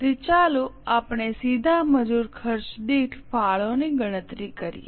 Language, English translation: Gujarati, So, let us calculate the contribution per direct labor cost